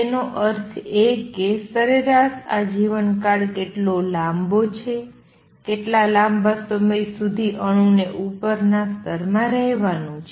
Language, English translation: Gujarati, That means, on an average this is how long the lifetime is, this is how long the atom is going to remain in the upper level